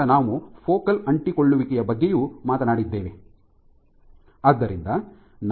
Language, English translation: Kannada, And lastly, we spoke about focal adhesions